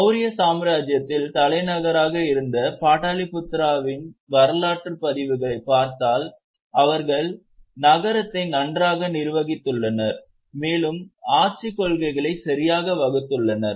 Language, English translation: Tamil, Now, if you look at the history records of Patli Putra, which was the capital of Mauryan Empire, we have a very well administered city and there were properly laid down principles of governance